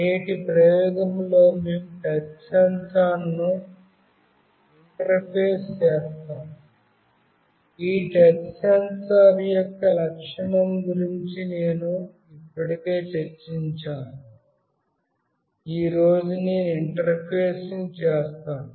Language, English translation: Telugu, In today’s experiment we will be interfacing a touch sensor, I have already discussed about the feature of this touch sensor that I will be interfacing today